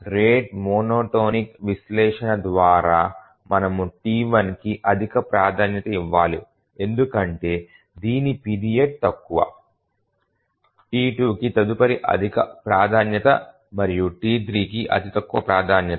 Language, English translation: Telugu, By the rate monotonic analysis we have to give the highest priority to T1 because its period is the shortest, next highest priority to T2 and T3 is the lowest priority